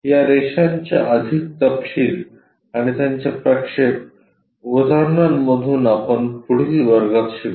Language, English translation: Marathi, More details of these lines and their projections through examples we will learn it in the next class